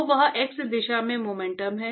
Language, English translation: Hindi, So, that is the momentum in the x direction